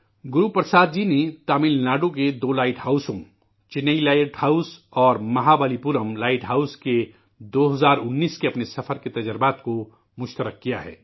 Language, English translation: Urdu, Guru Prasad ji has shared experiences of his travel in 2019 to two light houses Chennai light house and Mahabalipuram light house